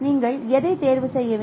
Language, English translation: Tamil, So which one you should choose